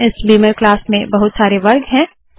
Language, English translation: Hindi, Beamer class has lots of information